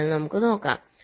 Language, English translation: Malayalam, so lets see